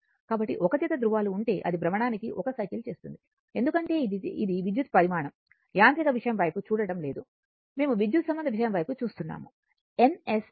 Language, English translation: Telugu, So, if you have 1 pair of poles, that it will make 1 cycle per revolution because it is electrical quantity it is, you are not looking at the mechanical thing, we are looking at the electrical thing N S, N S